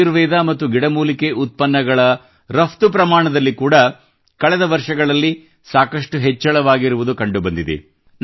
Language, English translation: Kannada, In the past, there has been a significant increase in the export of Ayurvedic and herbal products